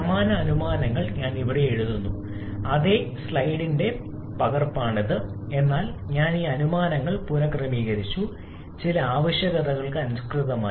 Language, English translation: Malayalam, I am writing the same assumptions here, is a copy of the same slide, but I have reordered these assumptions and to suite some requirements